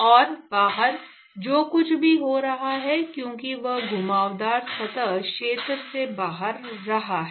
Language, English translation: Hindi, And whatever is happening outside because, it is flowing in the curved surface area